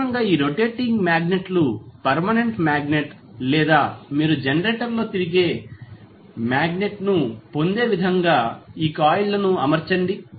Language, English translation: Telugu, So, generally these rotating magnets are either permanent magnet or you arrange the coils in such a way that you get the rotating magnet in the generator